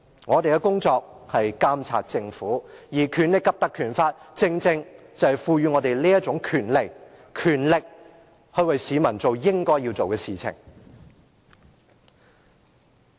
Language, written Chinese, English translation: Cantonese, 我們的工作是監察政府，而《立法會條例》正賦予我們這種權力，為市民做我們應做之事。, It is our duty to monitor the work of the Government and the Legislative Council Ordinance has given us the powers to do so so that we would be able to do what we should do for the people